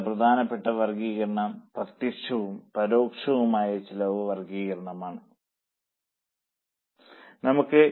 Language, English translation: Malayalam, Now next important classification is cost classification by direct and indirect